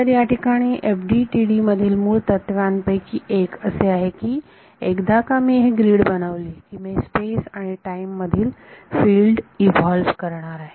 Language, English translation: Marathi, So, one of the sort of basic principles in FDTD is that once I get the once I make this grid I am going to evolve the field in space and time